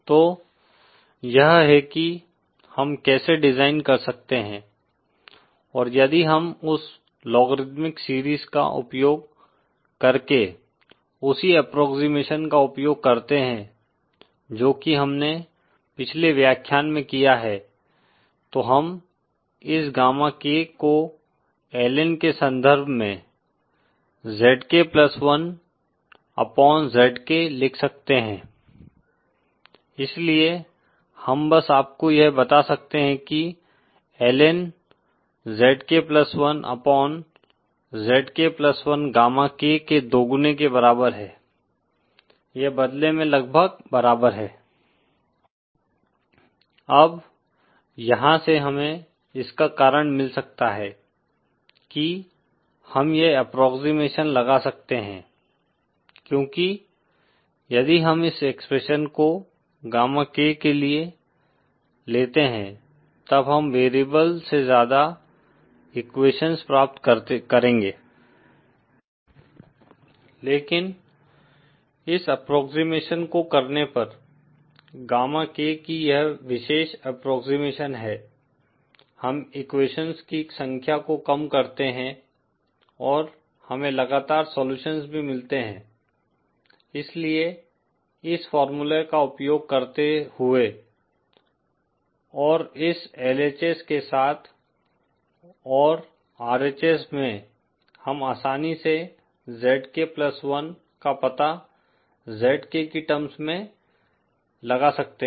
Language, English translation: Hindi, So then this is how we can do the design, and if we use that same approximation using that logarithmic series that we have done in the previous lecture then we can write this gamma K in terms of LN ZK+ 1 upon ZK so we can simply have you know that LN ZK+1 upon ZK is equal to twice of gamma K, this in turn is nearly equal to… Now from here we can get the reason we do this approximation is because if we take this expression for gamma K then we will get more equations than there are variables